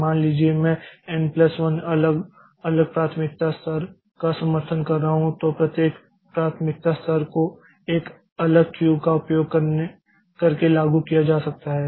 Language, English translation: Hindi, Suppose I am supporting say n plus one different priority levels, then each priority level may be implemented using a different queue